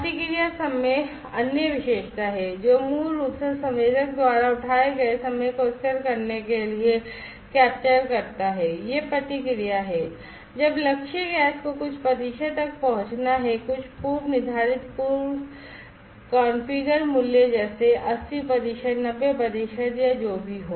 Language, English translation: Hindi, Response time is the other characteristic, which basically captures the time taken by the sensor to stabilize it is response, when sensing the target gas to reach some percentage some predefined threshold pre configured value like; 80 percent 90 percent or whatever